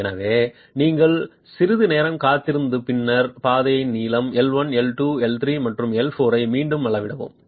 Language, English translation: Tamil, So, you wait for some time and then re measure the gauge length L1, L2, L3 and L4